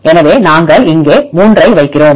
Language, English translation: Tamil, So, we put 3 here